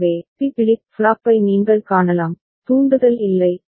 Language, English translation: Tamil, So, you can see for B flip flop, there is no trigger